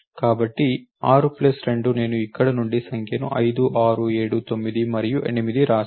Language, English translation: Telugu, So, 6 plus 2 I wrote the number from over here 5 6 7 9 and 8